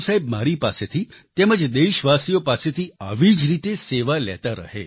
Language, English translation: Gujarati, May Guru Sahib keep taking services from me and countrymen in the same manner